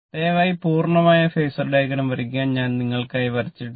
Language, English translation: Malayalam, You please draw the complete phasor diagram, I have not drawn for you right